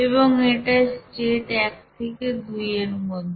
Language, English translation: Bengali, And that is state 1 to state 2